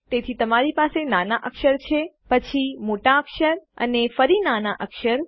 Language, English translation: Gujarati, Which is why you have lower case, then going to upper case, back to lower case